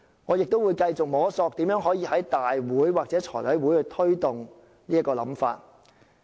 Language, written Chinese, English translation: Cantonese, 我亦會繼續摸索怎樣可以在立法會或財務委員會落實這個想法。, I will also keep exploring how to actualize such an idea in the Legislative Council or the Finance Committee